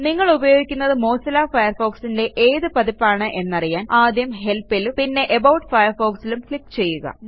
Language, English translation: Malayalam, To know which version of Mozilla Firefox you are using, click on Help and About Firefox